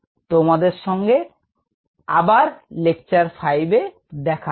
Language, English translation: Bengali, see you again in lecture number five